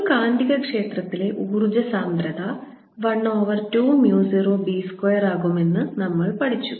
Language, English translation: Malayalam, we have learnt that energy density in a magnetic field b is given as one over two, mu zero, b square